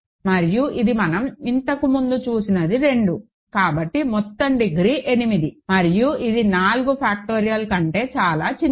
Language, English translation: Telugu, And this we have seen earlier is 2 so, the total degree is 8 and which is of course, much smaller than 4 factorial ok